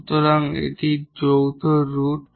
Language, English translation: Bengali, So, or two conjugate roots